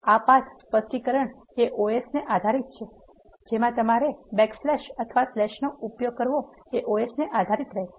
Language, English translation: Gujarati, This path specification is the os dependent you have to take care of whether you need to use backslash are slash operator depending upon your OS